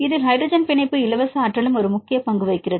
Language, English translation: Tamil, In this case the hydrogen bonding free energy also plays an important role